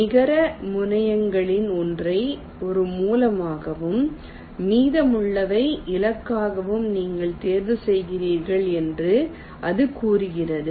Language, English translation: Tamil, it says you select one of the terminals of the net as a source and the remaining as targets